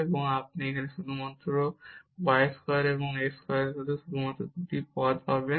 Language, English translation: Bengali, And you will get only these 2 terms there with this delta y square and x square